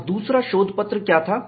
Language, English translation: Hindi, And, what was that paper